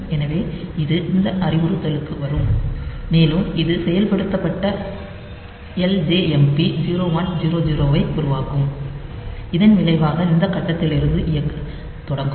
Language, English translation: Tamil, So, it will come to this instruction and it will make this executed LJMP 0 1 0 0 as a result it will start executing from this point onwards